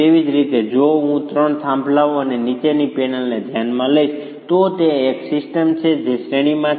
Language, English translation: Gujarati, Similarly, if I consider the three peers and the panel below, that is a system which is in series